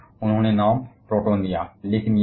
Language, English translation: Hindi, And also, he gave the name proton